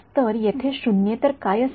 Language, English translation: Marathi, So, what will be non zero over here